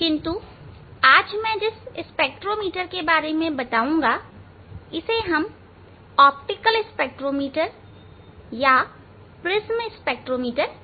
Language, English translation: Hindi, But today the spectrometer I will discuss, this we tell optical spectrometer or prism spectrometer